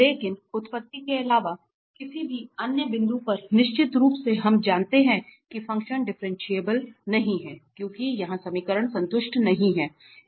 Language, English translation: Hindi, But at any other point then origin definitely we know that the function is not differentiable, because here equations are not satisfied